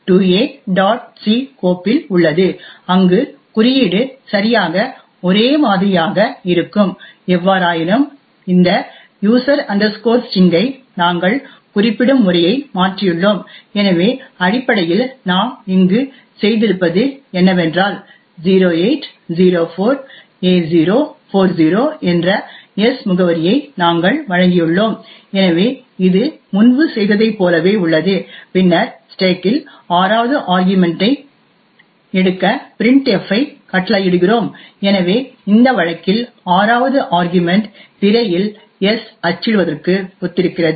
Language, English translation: Tamil, c where the code is exactly the same however we have change the way we specify this user string, So essentially what we have done over here is that we provided the address of s that is 0804a040, so this is as was done before and then we command printf to take sixth argument present on the stack, so the sixth argument in this case is corresponds to the printing of s on to the screen